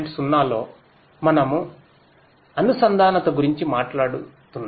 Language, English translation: Telugu, 0 we are talking about connectivity